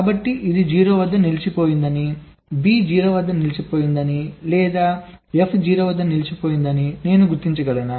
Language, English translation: Telugu, so can i distinguish whether it says a stuck at zero, b stuck at zero or f stuck at zero